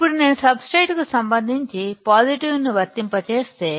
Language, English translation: Telugu, Now, if I apply positive with respect to the substrate